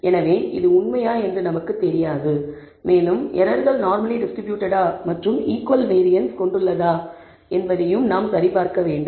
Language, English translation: Tamil, So, we do not know whether this is true and we have to verify whether the errors are normally distributed and have equal variance